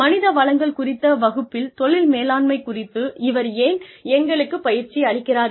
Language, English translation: Tamil, Why is she training us, on Career Management, in a class on Human Resources